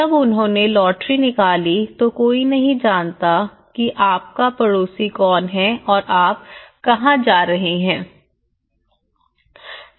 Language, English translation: Hindi, Here, when they have taken a lottery approaches no one knows who is your neighbour and where you are going